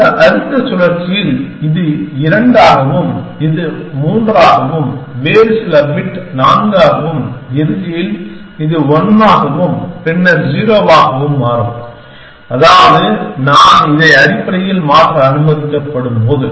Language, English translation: Tamil, Then in this next cycle, this will become 2, this will become 3 and some other bit will become 4 and eventually, this will become 1 and then become 0, which is when I am allowed to change it essentially